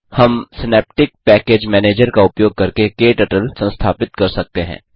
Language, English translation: Hindi, We can install KTurtle using Synaptic Package Manager